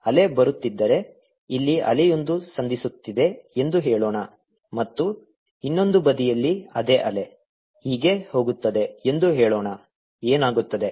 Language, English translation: Kannada, let's say there's a wave that meets here and then on the other side a same wave, let's say, goes like this: what happens now